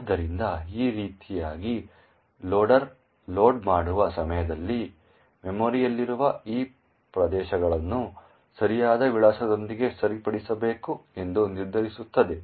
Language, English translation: Kannada, So, in this way the loader would determine at the time of loading that these regions in memory have to be fixed with the correct address